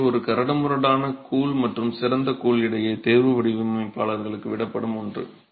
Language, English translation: Tamil, So the choice between a coarse grout and a fine grout is something that is left to the designer